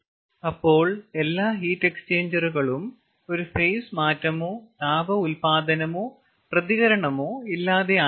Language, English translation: Malayalam, then all heat exchangers are without any phase change and without any heat generation or ah reaction